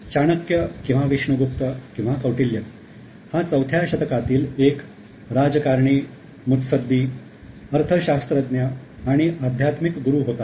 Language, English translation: Marathi, Chanakya or Vishnu Gupta or Kautiliya, he was a statesman, economist and also a spiritual guru